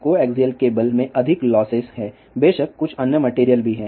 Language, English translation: Hindi, There are more losses in the coaxial cable, of course, there are some other material also